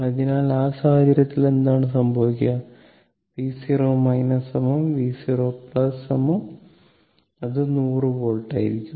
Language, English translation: Malayalam, So, in that case what will happen v 0 minus is equal to v 0 plus, that will be your 100 volt